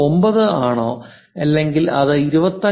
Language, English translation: Malayalam, 99 or is it something like 25